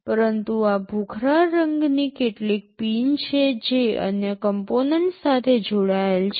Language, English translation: Gujarati, But, these gray colors ones are some pins connected to other components